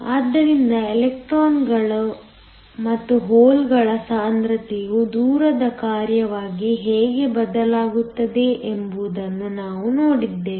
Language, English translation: Kannada, So, we looked at how the concentration of electrons and holes changes as a function of distance